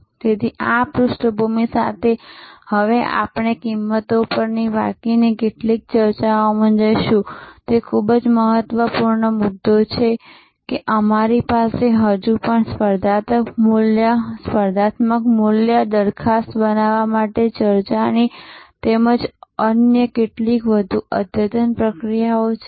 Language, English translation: Gujarati, So, with this background, now we will get into some of the other more the remaining discussions on pricing, very important point that we still have an discussed as well as some other more advanced processes for creating the competitive value proposition